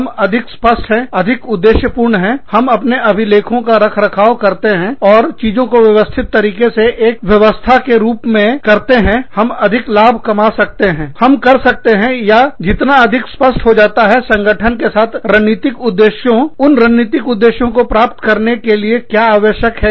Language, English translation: Hindi, More clear we are, the more objective, we are, in maintaining our records, and doing things, in a systematic, in a system like manner, the more profits, we can, or, the clearer, it becomes, to align the strategic objectives with the organization, with what is required to go into, achieving those strategic objectives